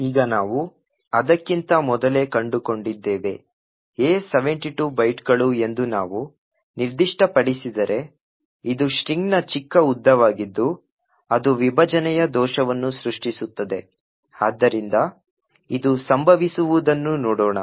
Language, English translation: Kannada, if we specified that A is 72 bytes, then this is the smallest length of the string which would create a segmentation fault, so let us see this happening